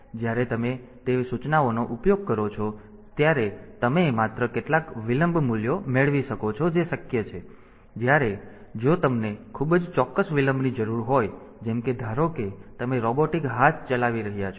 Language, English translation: Gujarati, So, you can get only some of the delay values that are possible, whereas in if you need a very precise delay like suppose you are operating a robotic hand